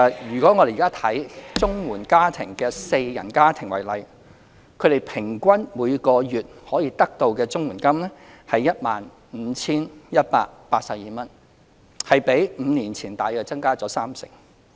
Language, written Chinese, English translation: Cantonese, 以綜援四人家庭為例，他們平均每月可得的綜援金為 15,182 元，比5年前增加約三成。, In the case of a household of four the average monthly CSSA payment received is 15,182 which is approximately 30 % higher than the amount received five years ago